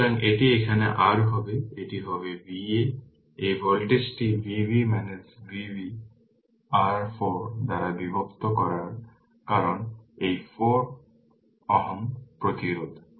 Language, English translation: Bengali, So, it will be your making it here, it will be V a this voltage is V b minus V b divided by your 4 because this 4 ohm resistance